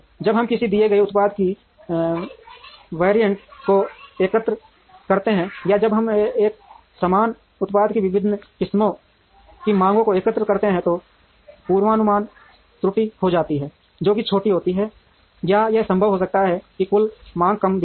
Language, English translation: Hindi, When, we aggregate the variants of a given product or we when we aggregate the demands of the various varieties of a similar product, it may be possible to have a forecast error which is smaller or it may be possible to have the total demand showing less variance